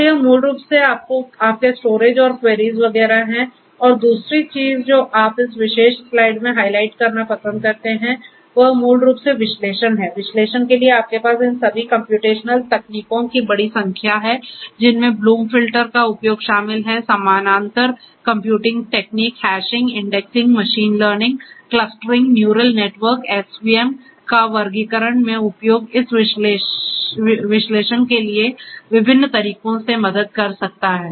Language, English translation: Hindi, So, this is basically your storage and queries and so on and the other thing that you like to highlight in this particular slide is basically the analysis, for analysis you have large number of all these computational techniques that are there, including use of bloom filters, parallel computing techniques, hashing indexing, machine learning, clustering, then classification use of neural networks SVM all of these can help in different ways for this analysis